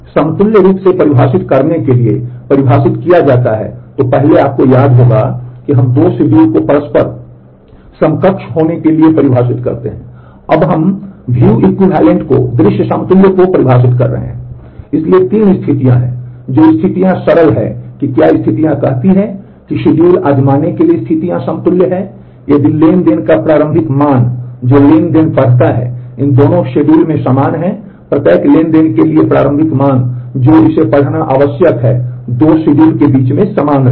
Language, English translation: Hindi, So, there are 3 conditions the conditions are simple what conditions say is a to try a schedules are view equivalent, if the transaction the initial value that a transaction reads is same in both these schedules, for every transaction the initial value that it reads must be the same between the 2 schedules